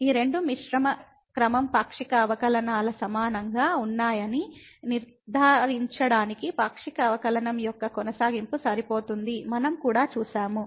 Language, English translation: Telugu, And what we have also seen that the continuity of the partial derivative is sufficient to ensure that these two mixed order partial derivatives are equal